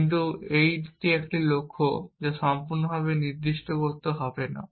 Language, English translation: Bengali, We do not necessarily describe the goal completely